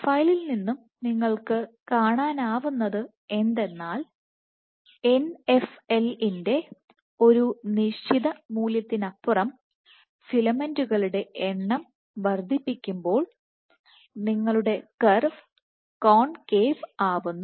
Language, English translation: Malayalam, So, from the profile you see that as you increase the number of filaments, beyond a certain value of Nfl your curve is concave